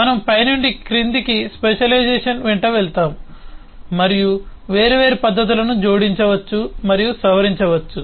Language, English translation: Telugu, so as we go along the specialisation from top to bottom, we can add and modify different methods